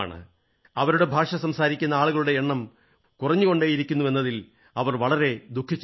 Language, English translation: Malayalam, They are quite saddened by the fact that the number of people who speak this language is rapidly dwindling